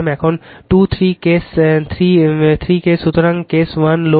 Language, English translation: Bengali, Now, there are 2 3 cases 3 cases; so, case 1 load right